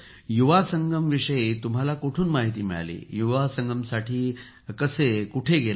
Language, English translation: Marathi, Where did you go for the Yuva Sangam, how did you go, what happened